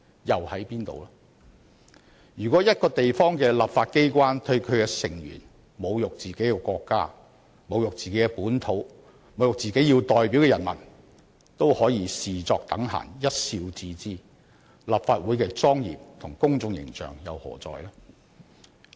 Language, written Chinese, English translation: Cantonese, 如果一個地方的立法機關對其成員侮辱自己的國家、本土和其代表的人民也可視作等閒、一笑置之，立法會的莊嚴和公眾形象何在？, If a Member of the legislature insults his own country region and people he represents and the legislature of the place treats the matter lightly and dismisses it with a laugh then what happens to the solemn public image of the legislature?